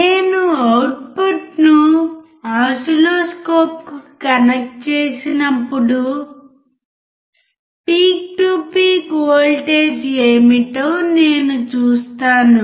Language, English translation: Telugu, When I connect the output to the oscilloscope I will see what exactly the peak to peak voltage is